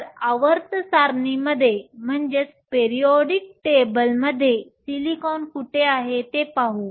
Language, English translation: Marathi, So, let us look at where silicon is in the periodic table